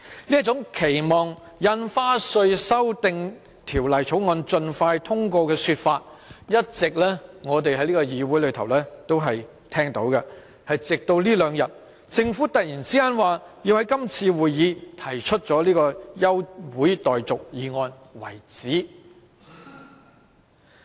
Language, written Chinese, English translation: Cantonese, 這種期望《條例草案》盡快通過的說法，我們一直在這議會內聽到，直至這兩天，政府突然說要在今次會議提出休會待續議案。, We have all along heard in this Council the expectation of the Government to pass the Bill expeditiously . Yet two days ago the Government suddenly announced that it would move an adjournment motion at this meeting